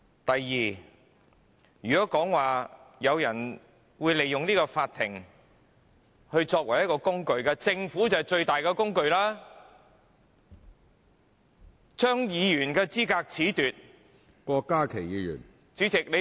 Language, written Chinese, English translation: Cantonese, 第二，如果說，有人利用法庭來作為工具，那麼政府就是把法庭視為最大的工具，政府褫奪議員的資格......, Second if it is said that some people are using the Court as a tool then the Court is regarded by the Government as the most powerful tool . The Government is disqualifying Members from office